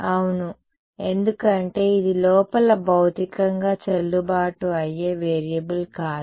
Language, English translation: Telugu, Yeah, because it’s not physically valid variable inside